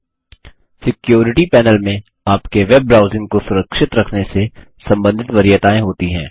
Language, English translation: Hindi, The Security panel contains preferences related to keeping your web browsing safe